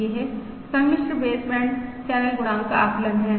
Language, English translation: Hindi, This is the estimate of the complex baseband channel coefficient